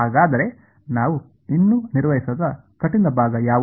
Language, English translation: Kannada, So, what is the difficult part we are not yet handled